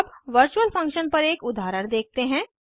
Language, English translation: Hindi, Now let us see an example on virtual functions